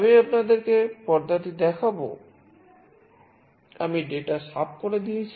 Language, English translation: Bengali, I will show you the screen, I have cleared out the data